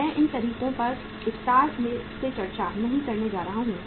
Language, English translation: Hindi, I am not going to discuss these methods in detail